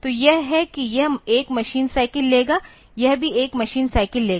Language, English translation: Hindi, So, this is this will take 1 machine cycle this is also take 1 machine cycle